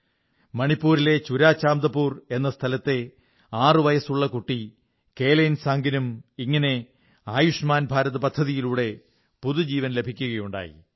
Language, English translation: Malayalam, Kelansang, a sixyearold child in ChuraChandpur, Manipur, has also got a new lease of life from the Ayushman scheme